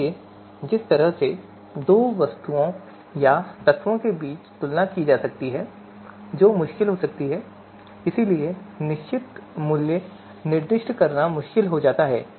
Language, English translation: Hindi, So the way comparison might be being performed between two objects or elements you know, that might be you know you know, difficult so fixed value might be very difficult to specify